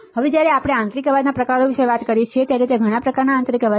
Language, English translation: Gujarati, Now, when we talk about types of internal noise, then there are several type of internal noise